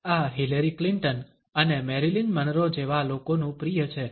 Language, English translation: Gujarati, This is a favourite of people such a Hillary Clinton and Marilyn Monroe